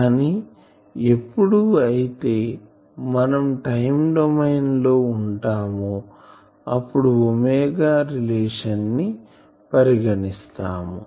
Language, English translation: Telugu, But if we come to time domain generally we bring back to this relation omega, ok